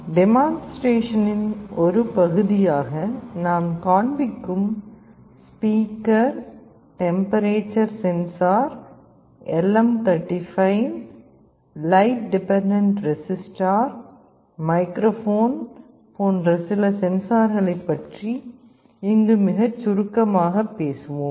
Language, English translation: Tamil, Here we shall be very briefly talking about some of the sensors like speaker, temperature sensor, LM35, light dependent resistor, microphone that we shall be showing as part of the demonstration